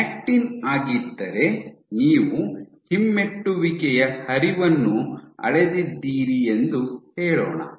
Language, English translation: Kannada, If actin, you have measured retrograde flow right